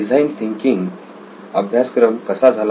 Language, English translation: Marathi, How did the design thinking course go